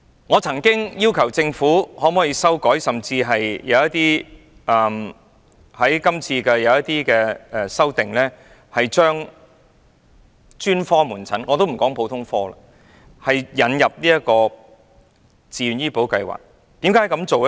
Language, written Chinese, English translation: Cantonese, 我曾要求政府修改......我早前曾建議修訂《條例草案》，把專科門診——撇開普通科不談——納入自願醫保計劃的保障範圍。, I have asked the Government to amend I once suggested amending the Bill for VHIS to cover specialist outpatient services . Let us first leave aside the general services